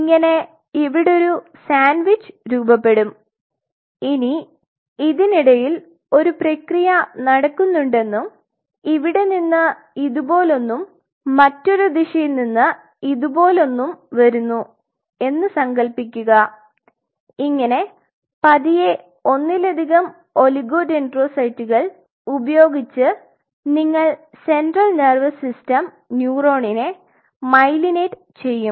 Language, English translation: Malayalam, So, it will form a sandwich just imagine in between there is a process going on and from here something like this and another direction something like this, slowly using multiple oligodendrocytes you will it will myelinate